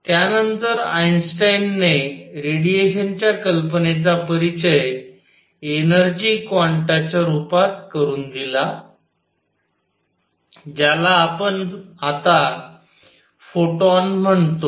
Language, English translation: Marathi, Then Einstein introduced the idea of the radiation itself coming in the form of energy quanta, which we now call photons